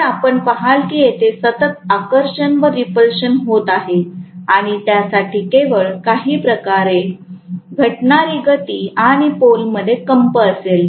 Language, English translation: Marathi, So you would see that continuously there will be attraction and repulsion taking place and that will cost only some kind of dwindling motion or vibration in the poles